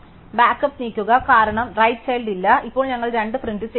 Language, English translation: Malayalam, And move backup, because is no right child, now we print out 2